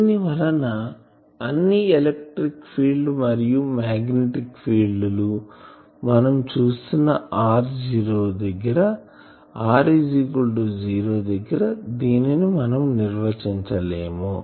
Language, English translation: Telugu, So, this happens in all the electric fields, magnetic fields you have seen these that at r is equal to 0 we cannot define it